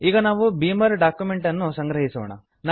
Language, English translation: Kannada, Now let us compile a Beamer document